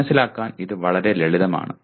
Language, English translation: Malayalam, This is fairly simple to understand